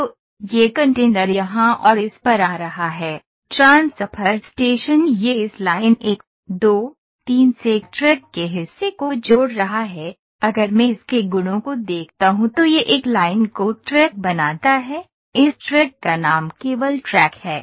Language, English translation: Hindi, So, this container is this coming here and this transfer station, it is connecting the part from this line 1,2, 3 to a track ok, if I see its properties it is form line to a track the name of this track is track only ok